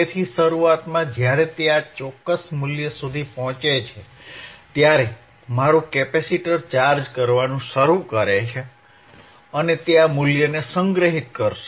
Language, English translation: Gujarati, sSo initially, when it reaches to this particular value, right my capacitor will start charging and it will store this value